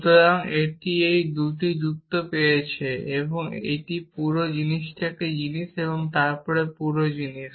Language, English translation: Bengali, So, this has got this 2 arguments this whole thing is one thing and this whole thing